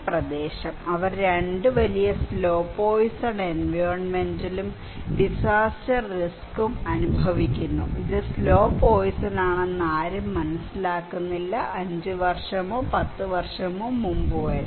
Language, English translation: Malayalam, So, this area they are suffering from 2 huge slow poisoning environmental and disaster risk, okay is that you are slow poison gradually and nobody is realizing until before 5 years or 10 years